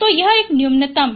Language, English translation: Hindi, So, this is a minimum one